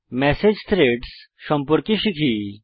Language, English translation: Bengali, Lets learn about Message Threads now